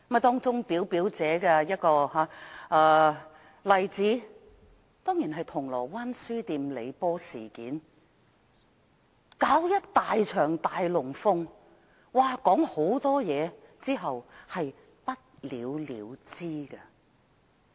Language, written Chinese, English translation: Cantonese, 當中表表者的一個例子當然是銅鑼灣書店李波事件，搞了一場"大龍鳳"、說了一大堆話後便不了了之。, The most classic example is definitely the incident involving LEE Po of Causeway Bay Books . After staging a big show and saying a lot many things he let the matter take its own course